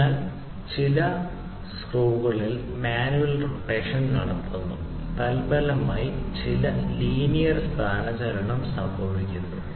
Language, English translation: Malayalam, So, manual rotation is performed on some screws or whatever and consequently there is some linear displacement